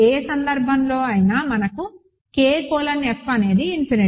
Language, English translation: Telugu, In either case we have K colon F is infinity